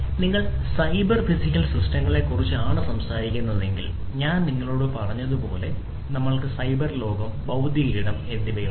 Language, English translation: Malayalam, So, if you are talking about cyber physical systems, we have as I told you we have the cyber world, the cyber world, and the physical space, right